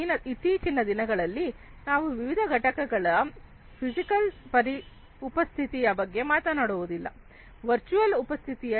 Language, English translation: Kannada, So, nowadays we are not talking about physical presence of the different units, there could be virtual presence also